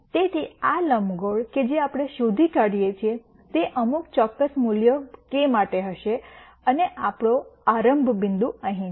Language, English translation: Gujarati, So, this ellipse that we trace would be for some particular value of k and our initialization point is here